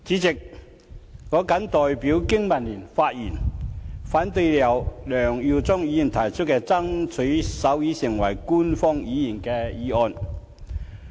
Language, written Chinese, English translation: Cantonese, 代理主席，我代表香港經濟民生聯盟發言，反對由梁耀忠議員提出的"爭取手語成為香港官方語言"議案。, Deputy President I rise to speak on behalf of the Business and Professionals Alliance for Hong Kong BPA to oppose Mr LEUNG Yiu - chungs motion entitled Striving to make sign language an official language of Hong Kong